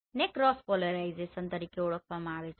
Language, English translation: Gujarati, They are known as cross polarized